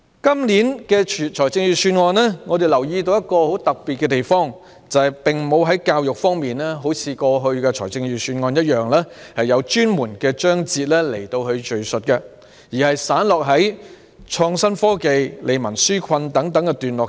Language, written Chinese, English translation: Cantonese, 我們留意到，今年預算案有一個很特別的地方，就是不像過去的預算案般，有敘述教育的專門章節，而有關教育的內容散落在"創新科技"、"利民紓困"等段落。, We notice a very special feature in this years Budget that is unlike the past budgets with a specific chapter on education the contents on education are scattered in paragraphs such as innovation and technology and relieving peoples burden